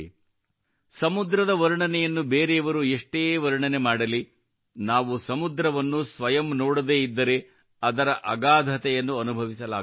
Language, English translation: Kannada, No matter how much someone describes the ocean, we cannot feel its vastness without seeing the ocean